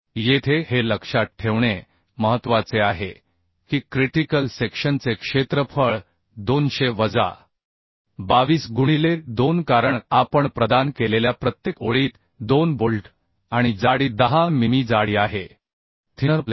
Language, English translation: Marathi, 5 kilonewton here it is important to remember that at critical section the area will be 200 minus 22 into 2 because 2 bolts in each row we have provided and thickness is 10 mm thickness of the thinner plate So we could find out Tdn as 460